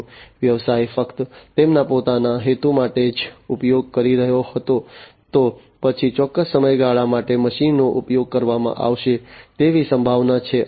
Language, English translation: Gujarati, If the business was using just for their own purpose, then it is quite likely that the machine will be used for certain duration of time